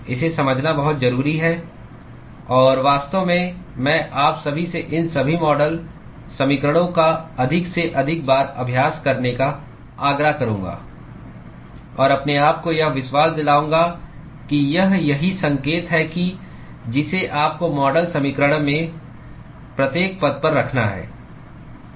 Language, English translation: Hindi, It is very important to understand this; and in fact, I would urge all of you to practice all these model equations as many number of times and convince yourself that this is the correct sign that you have to put at each and every term in the model equation